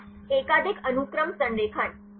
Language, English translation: Hindi, Multiple Sequence Alignment